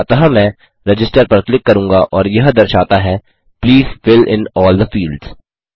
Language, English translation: Hindi, So I will click Register and it says Please fill in all the fields